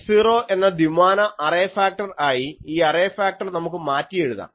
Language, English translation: Malayalam, And so, we can rewrite this array factor two dimensional array factor as I 0